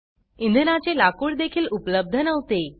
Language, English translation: Marathi, Fuel wood was also unavailable